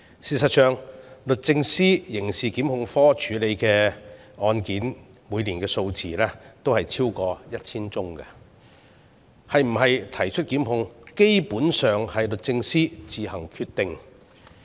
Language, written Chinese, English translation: Cantonese, 事實上，律政司刑事檢控科每年處理超過 1,000 宗案件，是否提出檢控，基本上由律政司自行決定。, In fact the Prosecutions Division of DoJ handles more than 1 000 cases per year and it is basically up to the Secretary for Justice to decide whether or not to prosecute